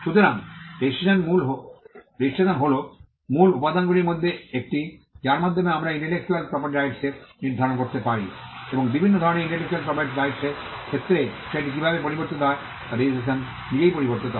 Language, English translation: Bengali, So, registration is one of the key elements by which we can define intellectual property rights and registration itself varies just how the subject matter varies when it comes to different types of intellectual property rights